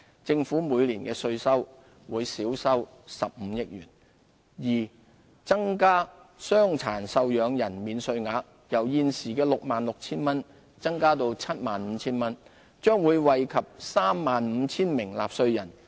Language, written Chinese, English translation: Cantonese, 政府每年的稅收會減少15億元；二增加傷殘受養人免稅額，由現時 66,000 元增至 75,000 元，將惠及 35,000 名納稅人。, This measure will reduce the tax burden of 1.3 million taxpayers and reduce tax revenue by 1.5 billion a year; b raising the disabled dependant allowance from the current 66,000 to 75,000